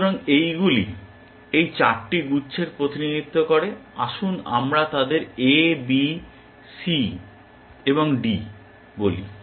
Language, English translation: Bengali, So, these represent 4 clusters let us call them A, B, C, D